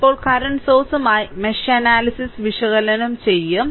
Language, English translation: Malayalam, So, now, we will analysis mesh analysis with current sources